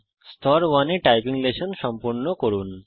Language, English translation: Bengali, Complete the typing lesson in level 1